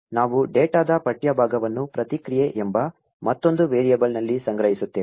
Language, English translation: Kannada, So, we store the text part of the data in another variable called the response